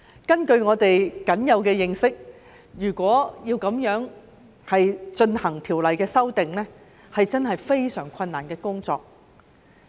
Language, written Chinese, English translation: Cantonese, 根據我們僅有的認識，如果要這樣進行條例修訂，會是一項非常困難的工作。, Given that little knowledge we had amending the legislation in this way would mean a Herculean task